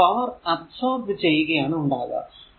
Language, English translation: Malayalam, So, it will be power absorbed